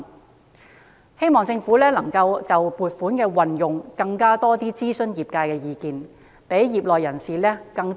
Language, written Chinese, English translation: Cantonese, 我希望政府能夠就撥款的運用多諮詢業界的意見，讓更多業內人士受惠。, I hope the Government will consult the sector more on the use of the funds and enable more people in the industry to benefit